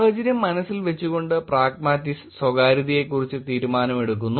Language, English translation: Malayalam, Pragmatists make decision about privacy keeping the situation in mind